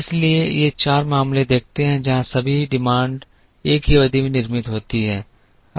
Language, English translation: Hindi, So, these four look at the cases, where all the demands are produced in a single period